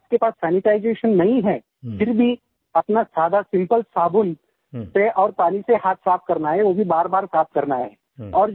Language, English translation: Hindi, If you do not have sanitisation, you can use simple soap and water to wash hands, but you have to keep doing it frequently